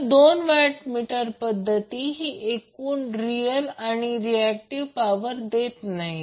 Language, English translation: Marathi, So what you can say that the two watt meter method is not only providing the total real power, but also the reactive power and the power factor